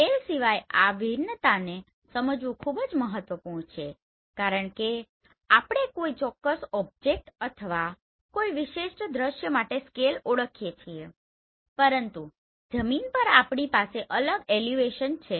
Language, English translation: Gujarati, So apart from this scale there is very important to understand this variation because scale we identify for a particular object or for a particular scene but on ground we have this elevation different